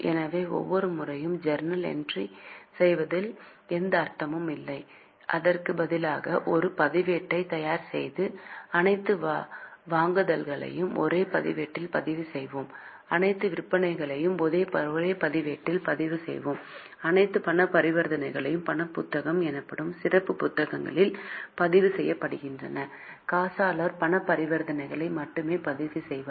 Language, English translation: Tamil, But what happens is in most of the businesses, similar type of entries come in very large number like purchases sales and cash so there is no point in making journal entry every time instead of that we will prepare a register and record all the purchases in one register all the sales in one register all cash transactions are recorded in a special book known as cash book where the cashier will record only the cash transactions